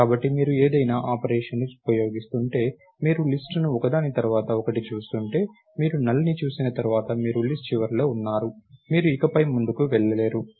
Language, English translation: Telugu, So, if you are using some operation, if you are going through the list one after the other, once you see null, you are at the end of list, you cannot go any further